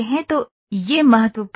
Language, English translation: Hindi, So, that is important